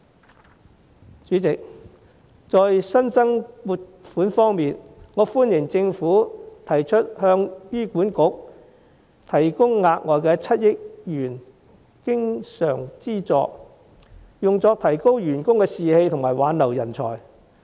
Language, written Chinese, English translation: Cantonese, 代理主席，在新增撥款方面，我歡迎政府提出向醫院管理局提供額外7億元經常資助，用作提高員工士氣及挽留人才。, Deputy President regarding the allocation of additional funding I welcome the Governments proposal to provide additional recurrent funding of over 700 million for the Hospital Authority HA to boost staff morale and retain talents